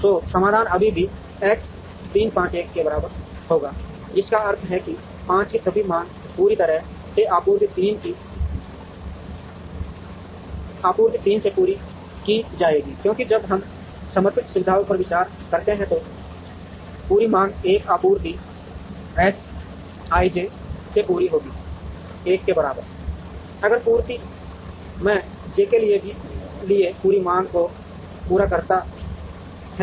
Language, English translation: Hindi, So, the solution there will be still X 3 5 equal to 1, which means all the demand of 5 will be entirely met from supply 3, because the when, we consider dedicated facilities, entire demand is met from 1 supply X i j will be equal to 1, if supply I meets the entire demand for j